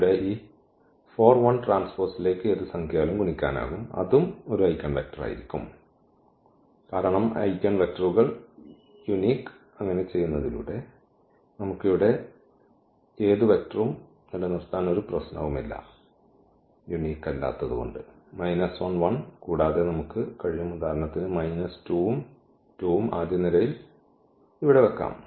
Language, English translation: Malayalam, Again here also this 4 1 we can multiply by any scalar that will also be the eigenvector, because eigenvectors are not unique and by doing so, also there is no problem we can keep any vector here not only minus 1 and 1, we can also place for example, minus 2 and 2 here in the first column